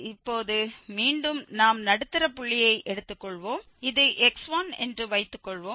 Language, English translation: Tamil, 25 and again we will take the middle point here so we have the new value 0